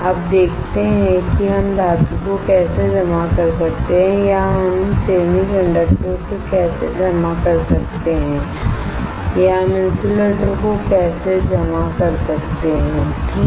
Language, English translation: Hindi, Now let us see how we can deposit metal or how we can deposit semiconductor or how we can deposit insulator alright